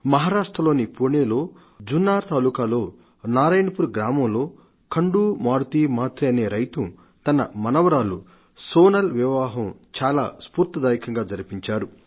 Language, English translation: Telugu, Shri Khandu Maruti Mhatre, a farmer of Narayanpur village of of Junner Taluka of Pune got his granddaughter Sonal married in a very inspiring manner